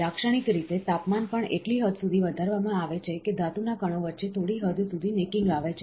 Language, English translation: Gujarati, Typically, the temperature is also raised to the extent, that a small degree of necking occurs between the metal particles